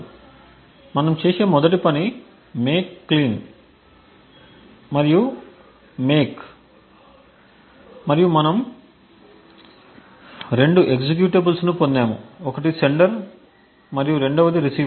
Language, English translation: Telugu, So, the 1st thing we do is do a make clean and make and we obtain 2 executables one is a sender and the 2nd is the receiver